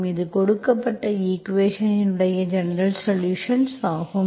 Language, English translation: Tamil, So this is the general solution, so this is the general solution of the given equation